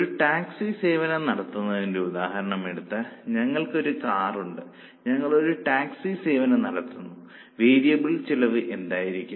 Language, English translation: Malayalam, If you take our example of operating a taxi service, we have one car, we are operating a taxi service, what will be the variable cost